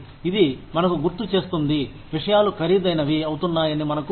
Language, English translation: Telugu, That just reminds us that, we are aware that, things are becoming more expensive